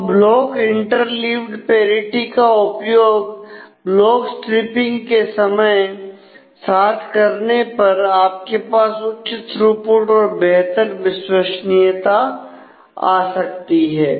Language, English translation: Hindi, So, by using block interleaved parity with block striping you can really have a higher throughput with a better reliability